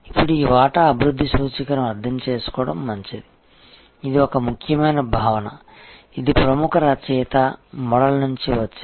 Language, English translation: Telugu, Now, it is good to understand this share development index, this is an important concept, it comes from the famous author model